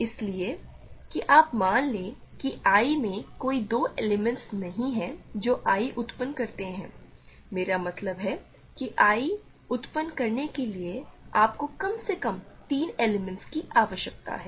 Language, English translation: Hindi, So, that you take there are no 2 elements in I that generate I that is what I mean you need at least three elements to generate I